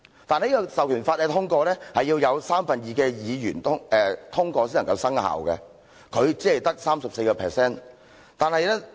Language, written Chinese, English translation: Cantonese, 但這項《授權法》需要有三分之二的議員通過才能生效，而他只有 34% 議員的支持。, But a two - thirds majority was required for endorsing the commencement of this Enabling Act and he only had the support of 34 % of all parliamentary members